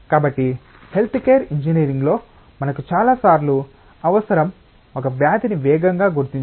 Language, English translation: Telugu, So, in health care engineering many times what we require is rapid diagnosis of a disease